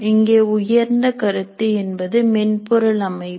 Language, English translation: Tamil, We have here the highest concept is system software